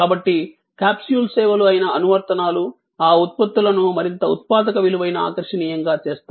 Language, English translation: Telugu, So, the apps, which are capsule services make those products, so much more productive valuable attractive